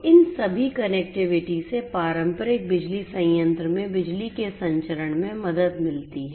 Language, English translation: Hindi, So, all of these so, all these connectivity helps in the transmission of electricity in a traditional power plant